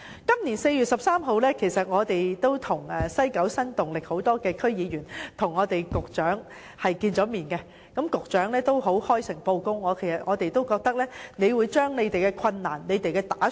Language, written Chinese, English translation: Cantonese, 今年4月13日，屬西九新動力的區議員曾與局長會面，局長亦開誠布公，向我們交代了當中的困難和打算。, On 13 April this year District Council members of the Kowloon West New Dynamic met with the Secretary who has frankly and sincerely tell us the difficulties faced by the Government and what they plan to do